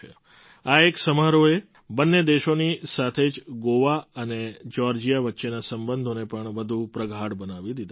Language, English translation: Gujarati, This single ceremony has not only strengthened the relations between the two nations but as well as between Goa and Georgia